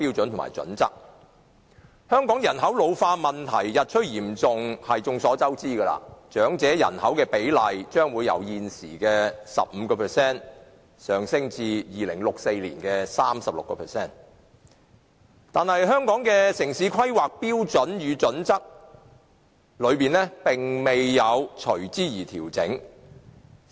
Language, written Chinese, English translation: Cantonese, 眾所周知，香港人口老化問題日趨嚴重，長者人口比例將會由現時的 15% 上升至2064年的 36%， 但《規劃標準》沒有隨之作出調整。, As we all know as the problem of population ageing is getting more serious the proportion of the elderly population will increase from the present 15 % to 36 % in 2064 but no corresponding adjustments have been made to HKPSG